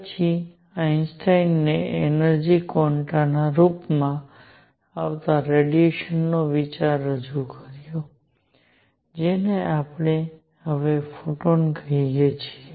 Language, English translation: Gujarati, Then Einstein introduced the idea of the radiation itself coming in the form of energy quanta, which we now call photons